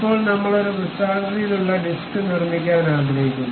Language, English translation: Malayalam, Now, we would like to make a circular disc